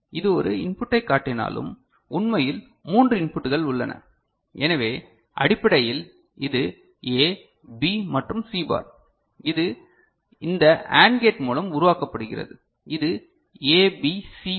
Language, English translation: Tamil, So, though there is it shows one input, actually there are three inputs, so basically it is A, B and C bar that is being generated by this AND gate ok, so this is A B C bar